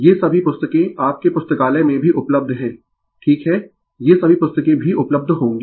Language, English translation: Hindi, All these books are available right in your library also all these books will be available